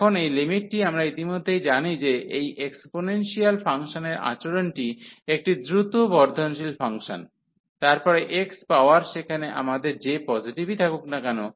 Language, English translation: Bengali, So, now this limit we know already the behavior of these exponential function is this is a is a fast growing function, then x x power whatever positive power we have there